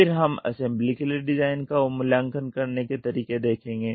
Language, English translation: Hindi, Then we will see design for assembly